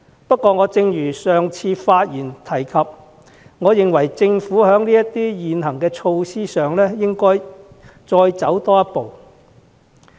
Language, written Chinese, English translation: Cantonese, 不過，正如我上次發言時提及，我認為政府應在現行措施上多走一步。, However as I mentioned in my last speech I think the Government should step up its existing measures